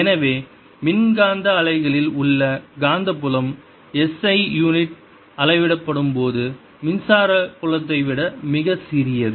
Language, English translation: Tamil, so magnetic field in electromagnetic wave is much smaller than the electric field when they are measured in s i units